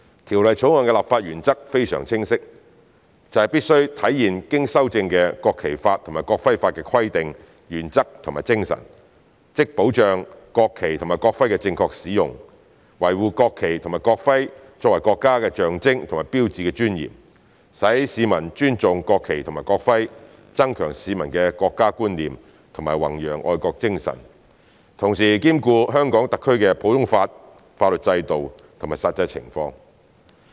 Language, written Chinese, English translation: Cantonese, 《條例草案》的立法原則非常清晰，就是必須體現經修正的《國旗法》及《國徽法》的規定、原則和精神，即保障國旗及國徽的正確使用，維護國旗及國徽作為國家的象徵和標誌的尊嚴，使市民尊重國旗及國徽，增強市民的國家觀念和弘揚愛國精神，同時兼顧香港特區的普通法法律制度及實際情況。, The legislative principle of the Bill is very clear that is to reflect the provisions principles and spirit of the amended National Flag Law and the amended National Emblem Law ie . to safeguard the proper use and preserve the dignity of the national flag and the national emblem which are the symbols and hallmarks of our country so as to promote respect for the national flag and national emblem enhance the sense of national identity among citizens and promote patriotism whilst taking into account our common law system and the actual circumstances in Hong Kong